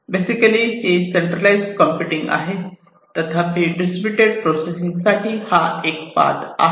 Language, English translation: Marathi, So, this is basically the centralized processing, and this one is the pathway for the distributed processing of the data